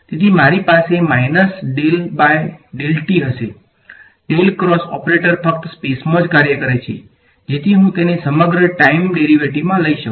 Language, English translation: Gujarati, So, I will have minus del by del t, the del cross operator acts only in space so I can take it across the time derivative alright